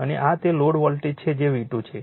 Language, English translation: Gujarati, And this is the voltage that was the load is V 2